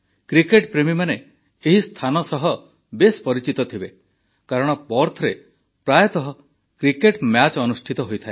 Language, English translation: Odia, Cricket lovers must be well acquainted with the place since cricket matches are often held there